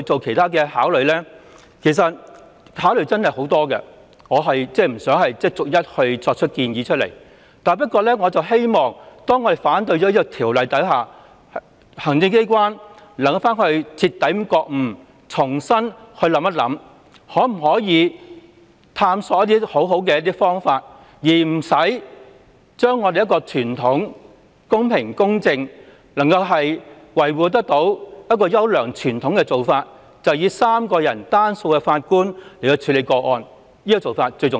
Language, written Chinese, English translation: Cantonese, 可以考慮的做法真的有很多，我不想逐一作出建議，但我希望當我們反對《條例草案》後，行政機關能夠徹底覺悟，重新探索另外一些好方法，而不需要更改由3名法官處理個案的做法，因為有關做法公平公正，並能維護優良傳統，這點最為重要。, I will not list out such suggestions but I hope that upon our opposition against the Bill the Executive Authorities can have a thorough understanding of the situation and explore afresh other alternatives without having to change the practice of having three judges to handle cases . The above practice is fair and just and can safeguard the fine tradition . This is the most important point